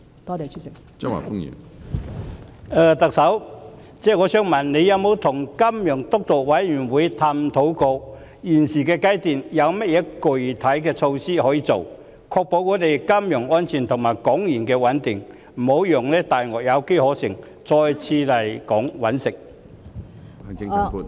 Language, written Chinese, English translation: Cantonese, 特首，我想問你有否與"金融督導委員會"探討過，現階段可以落實甚麼具體措施，以確保金融安全和港元穩定，不致讓"大鱷"有機可乘，再次來港"覓食"？, Chief Executive may I ask you whether you have explored with the steering committee on finance what specific measures can be implemented at the present stage to ensure financial security and the stability of the Hong Kong dollar so as not to create opportunities for predators to come to Hong Kong again for food?